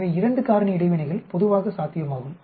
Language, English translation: Tamil, pH so 2 factor interactions are generally possible